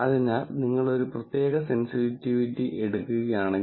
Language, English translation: Malayalam, So, if you take a particular sensitivity